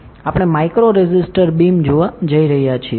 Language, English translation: Gujarati, We are going to see a micro resistor beam